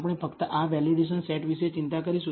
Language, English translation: Gujarati, We will only worry about this validation set